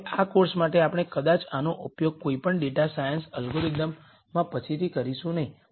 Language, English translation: Gujarati, Now for this course we might not be using this later in any data science algorithm